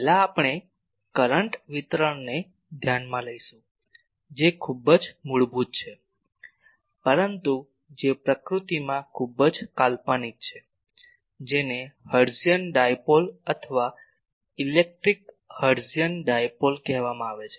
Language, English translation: Gujarati, First we will consider a current distribution which is very fundamental, but which is very fictitious in nature that is called Hertzian Dipole or electric Hertzian Dipole